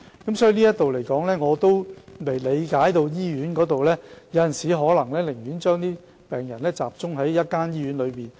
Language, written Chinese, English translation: Cantonese, 就此，我亦理解到院方有時可能寧願將病人集中在一間醫院。, In this connection I understand that hospital authorities would rather place patients within one hospital building sometimes